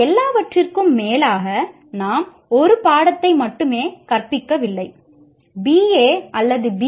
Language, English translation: Tamil, Because after all, we are not teaching only one course